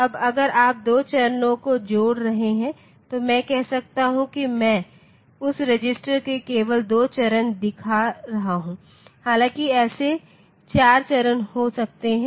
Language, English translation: Hindi, Now if you are connecting 2 stages say I am just showing 2 stage of that register, though there can be 4 such stages